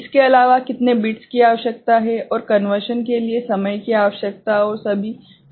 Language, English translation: Hindi, Other than how many bits it requires and the time requires for conversion and all ok